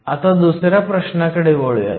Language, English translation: Marathi, So, let us now move to question number 2